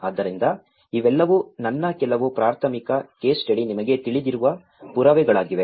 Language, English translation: Kannada, So, these are all some of my primary case study you know evidences